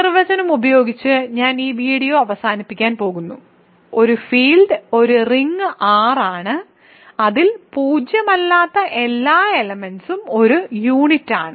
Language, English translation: Malayalam, So, let me end this video with this definition: a field is a ring R in which every non zero element is a unit